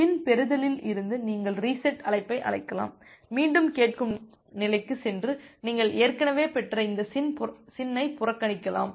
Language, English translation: Tamil, So, from the SYN receive you can call a reset call and again move to the listen state and ignore these SYN you have already received